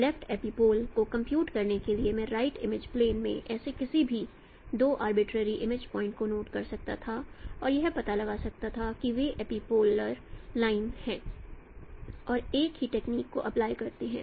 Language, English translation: Hindi, To compute the left epipole, I could have taken no two such any two arbitrary image points in the right image plane and find out they are epipolar lines and apply the same technique